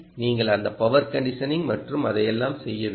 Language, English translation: Tamil, ok, you have to do all that: power conditioning and all that